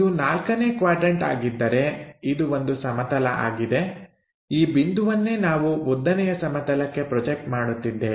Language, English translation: Kannada, If, it is a 4th quadrant this is one plane, this is the one the point projected onto vertical plane